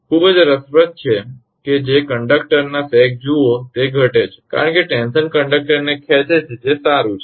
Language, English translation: Gujarati, Very interesting that look the sag of the conductor decreases because the tension pulls the conductor up that is fine